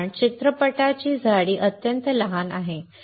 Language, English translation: Marathi, Because the thickness of the film is extremely small